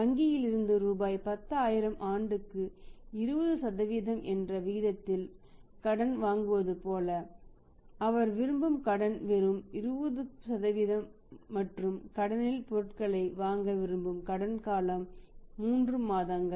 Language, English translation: Tamil, Like borrowing 10000 rupees from the bank at the rate of 20% per annum just 20% per annum and the credit period which he wants the credit and he want to buy the goods on credit is 3 months